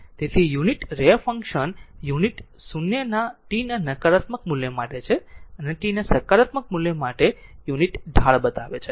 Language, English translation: Gujarati, So, the unit ramp function unit is 0, for negative values of t and has a unit slope for the positive values of t